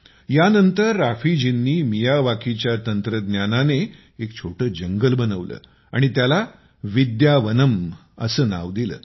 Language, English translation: Marathi, After this, Raafi ji grew a mini forest with the Miyawaki technique and named it 'Vidyavanam'